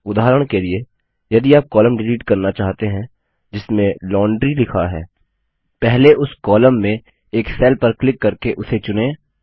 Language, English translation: Hindi, For example if we want to delete the column which has Laundry written in it, first select a cell in that column by clicking on it